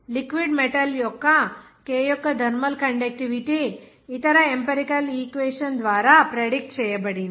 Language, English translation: Telugu, The thermal conductivity of k of a liquid metal is the like is predicted by other the empirical equation